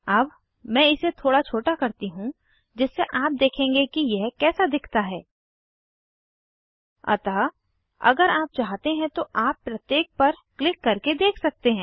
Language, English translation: Hindi, So, let me scroll down Let me just make this smaller so you will see what it looks like So If you want you can actually see by clicking each of these